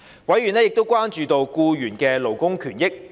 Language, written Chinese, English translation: Cantonese, 委員亦關注僱員的勞工權益。, Members were also concerned about the labour benefits of employees